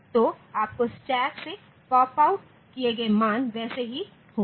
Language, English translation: Hindi, So, you will be getting the same values popped out from the stack